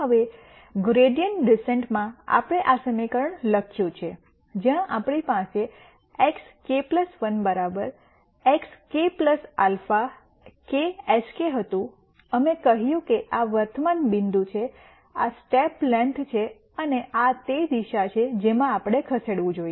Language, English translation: Gujarati, Now, in gradient descent we wrote this equation where we had x k plus 1 equals x k plus alpha k sk, we said this is the current point, this is the step length and this is the direction in which we should move